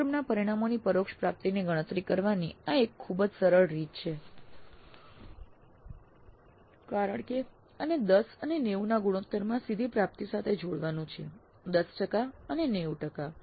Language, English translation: Gujarati, So, very very simple way of calculating the indirect attainment of the course of this is to be combined with the direct attainment in the ratio of 10 is to 90, 10% 90%